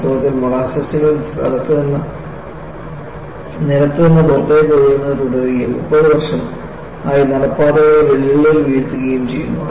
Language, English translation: Malayalam, In fact, the molasses actually continued to creep out of the ground and cracks in the sidewalks for 30 years